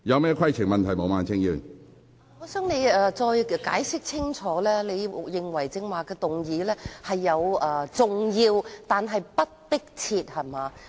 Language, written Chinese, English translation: Cantonese, 主席，我想請你清楚解釋，你是否認為有關事宜重要但不迫切？, President I would like to ask you for a clear explanation . Are you saying that the issue is important but non - urgent?